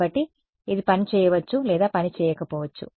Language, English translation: Telugu, So, it may or may not work